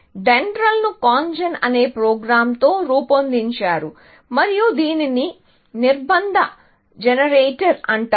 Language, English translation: Telugu, So, DENDRAL was made up of a program called CONGEN, and this stands for Constraint Generator